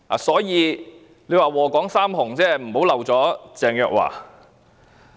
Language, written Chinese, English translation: Cantonese, 所以，"禍港三紅"不要漏了鄭若驊。, Therefore do not exclude Teresa CHENG as one of the three red evils in Hong Kong